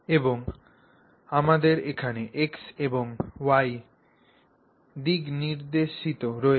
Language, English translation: Bengali, And we have the X and Y directions indicated here, X and Y directions